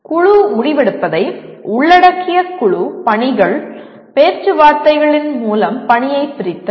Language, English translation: Tamil, Group assignments that involve group decision making, division of work through negotiations